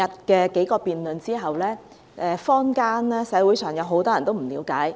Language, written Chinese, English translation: Cantonese, 經過昨天數項辯論，社會上有很多人對辯論不了解。, After the several debates yesterday many people in the community still do not understand much about the debates